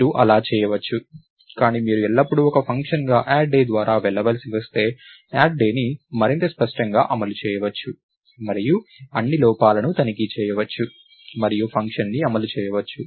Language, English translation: Telugu, You may do that, but if you are forced to go through add day as a function always, then add day can be implemented in a much cleaner way and all the errors can be checked and the function can be implemented